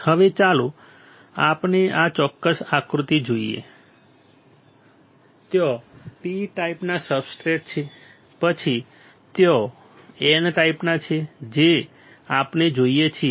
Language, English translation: Gujarati, Now, let us see this particular figure what we see there is a P types of substrate then there is a N type